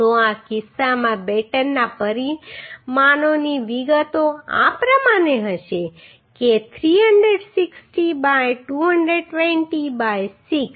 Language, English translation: Gujarati, So in this case the details of the batten dimensions will be like this that 360 by 220 by 6